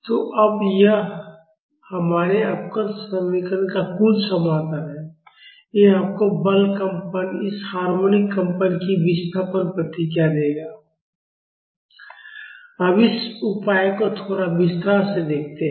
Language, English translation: Hindi, So, now, this is the total solution of our differential equation, this will give you the displacement response of this forced vibration, of this harmonic vibration